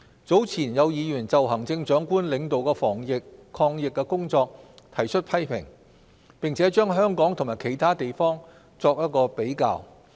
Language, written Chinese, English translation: Cantonese, 早前有議員就行政長官領導的防疫抗疫工作提出批評，並將香港與其他地方作比較。, Earlier Members criticized the anti - epidemic initiatives led by the Chief Executive and comparisons were made among Hong Kong and other places